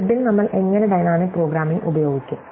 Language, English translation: Malayalam, So, how would we use dynamic programming on the grid